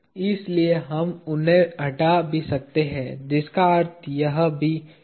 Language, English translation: Hindi, So, we might as well remove them, which mean this is also 0